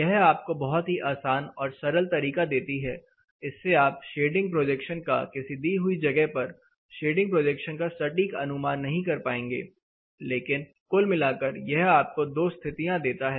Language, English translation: Hindi, It gives you very simple approach or simplified approach rather you may not be able to precisely find out the shading projection and depth for any specific location, but overall it gives you two conditions